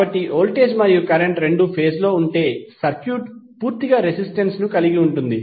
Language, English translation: Telugu, So if both voltage and current are in phase that means that the circuit is purely resistive